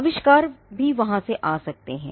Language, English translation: Hindi, Inventions could also come from there